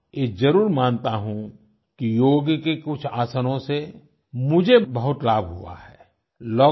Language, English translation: Hindi, I do concede however, that some yogaasanaas have greatly benefited me